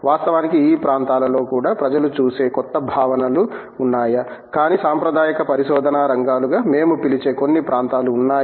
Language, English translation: Telugu, Of course, even in these areas there are you know newer concepts that people look at, but there are some areas that we would call as traditional areas of research